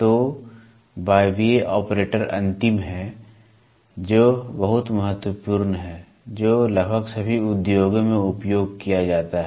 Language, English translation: Hindi, So, pneumatic operator is the last one which is very important which is used in almost all industries